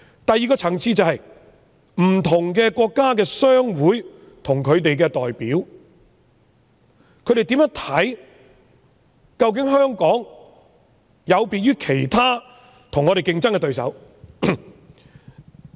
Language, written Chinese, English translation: Cantonese, 第二個層次，是不同國家的商會及其代表究竟是否認為香港有別於我們的競爭對手？, At the second level will chambers of commerce of various countries and their representatives consider Hong Kong to be different from our competitors?